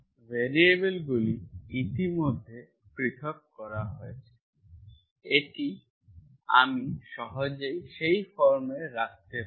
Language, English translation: Bengali, It is already separated, the variables are separated, this I can easily put in that form